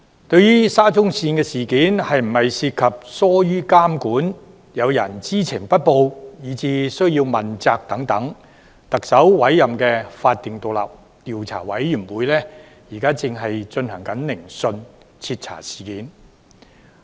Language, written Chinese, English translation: Cantonese, 對於沙中線事件是否涉及疏於監管、有人知情不報，以至須要問責等問題，特首委任的法定獨立調查委員會現正進行聆訊，徹查事件。, As regards whether the SCL incidents involve any lack of supervision withholding of important information and thus someone should be held accountable the statutory and independent Commission of Inquiry appointed by the Chief Executive has commenced its hearings to investigate thoroughly into the issues